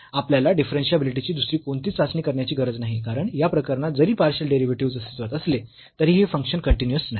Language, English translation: Marathi, We do not have to go for any other test for differentiability because the function is not continuous though the partial derivatives exist in this case